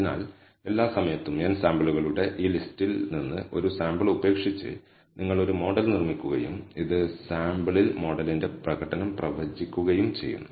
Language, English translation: Malayalam, So, in every time, you build a model by leaving out one sample from this list of n samples and predict the performance of the model on the left out sample